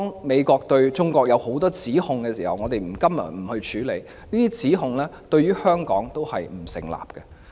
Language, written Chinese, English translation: Cantonese, 美國對中國提出的多項指控，我們今天不處理，因為對香港而言，這些指控都不成立。, We will not deal with the allegations of the United States against China today because such allegations are invalid as far as Hong Kong is concerned